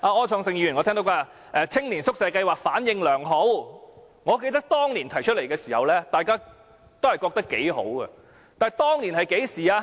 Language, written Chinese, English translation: Cantonese, 柯創盛議員剛才說，青年宿舍計劃反應良好，我記得當年提出這計劃時，大家都覺得頗好，但當年是甚麼時候呢？, Mr Wilson OR indicated just now that the Youth Hostel Scheme was received positively . I recollect that when the Scheme was introduced all agreed that it was good . But when was it introduced?